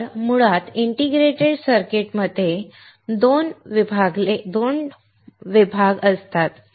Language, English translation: Marathi, So, basically integrated circuits can be divided into 2